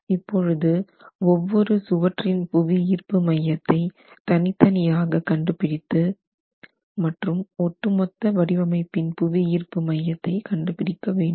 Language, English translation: Tamil, You need the center, the center of gravity of each of the walls individually and the center of gravity over the overall system